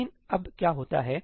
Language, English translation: Hindi, But what happens now